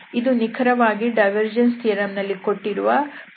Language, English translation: Kannada, So, this is exactly the flux we are talking about in divergence theorem